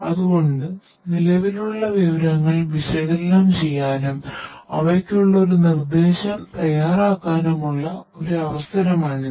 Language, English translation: Malayalam, So, this is an opportunity for us to analyze what is existing and preparing a prescription for them, right